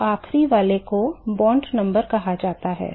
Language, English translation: Hindi, So, the last one is called the Bond number